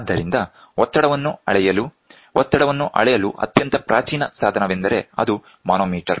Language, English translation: Kannada, So, to measure the pressure we start or a very primitive device for measuring pressure is a manometer